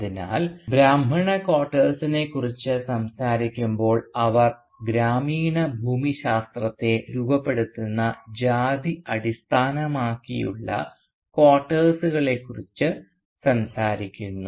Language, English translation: Malayalam, So while talking about the Brahmin quarters, and she talks about these distinct caste based quarters that form the village geography